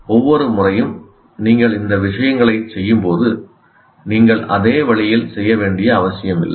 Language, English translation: Tamil, Possibly each time you do any of these things, you are not necessarily doing exactly the same way